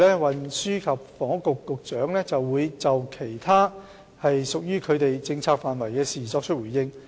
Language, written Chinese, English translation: Cantonese, 運輸及房屋局局長接着會就屬於其政策範疇的其他事宜作出回應。, The Secretary for Transport and Housing will respond to other issues within his purview